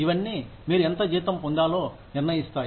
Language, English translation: Telugu, All of that determines, how much salary, you get